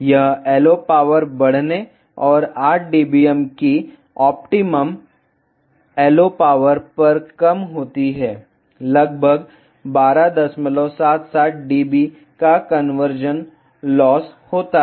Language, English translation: Hindi, It decreases as the LO power is increased and at an optimum LO power of 8 dBm, get conversion loss of around 12